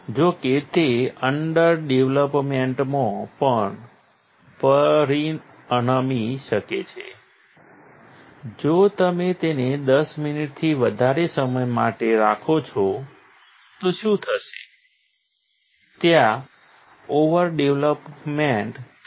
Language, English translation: Gujarati, However, if you; also the, it can also result in a under development while if you keep it for greater than 10 minutes, what will happen that there will be over development